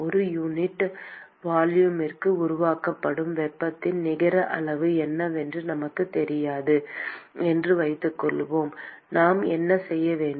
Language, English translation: Tamil, Supposing we do not know what is the net amount of heat that is generated per unit volume, what should we do